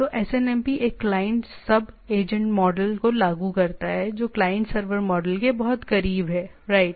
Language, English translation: Hindi, So, SNMP implements a manager client sub agent model which conforms very closely to the client server model, right